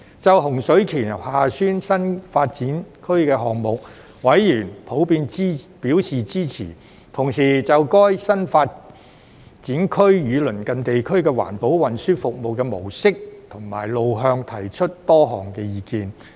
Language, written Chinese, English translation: Cantonese, 就洪水橋/厦村新發展區項目，委員普遍表示支持，同時就該新發展區與鄰近地區的環保運輸服務模式和路向提出多項意見。, Members were generally supportive of the Hung Shui KiuHa Tsuen New Development Area project and had given various views on the Environmentally Friendly Transport Services between the new development site and the adjacent areas